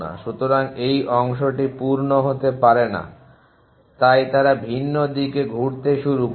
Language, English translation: Bengali, So, this part the cannot full so they will start diverting in different direction